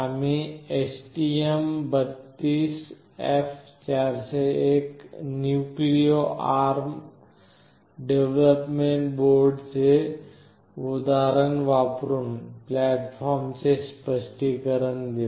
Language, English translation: Marathi, We shall explain the platform using the example of STM32F401 Nucleo ARM Development Board